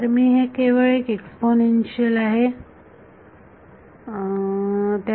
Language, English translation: Marathi, So, its just an exponential right